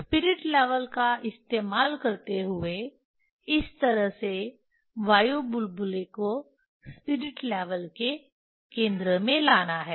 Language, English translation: Hindi, Using the spirit level this way bringing the bringing the air bubble at the centre of the spirit level